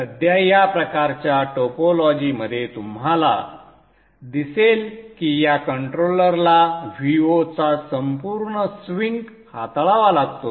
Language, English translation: Marathi, At present in this type of topology you will see that this controller has to handle the entire swing of V 0